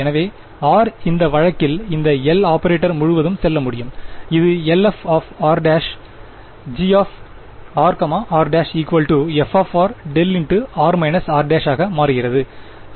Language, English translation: Tamil, So, r can move all the way across this L operator in that case this becomes L acting f r prime g r r prime is equal to f of r prime delta of r r prime